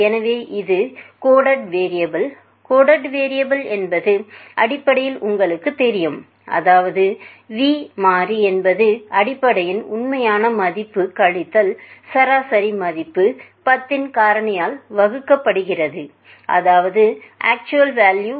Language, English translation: Tamil, So, this is the coded variable, coded variable basically means you know the v variable means basically the actual value minus the mean value divided by the factor of 10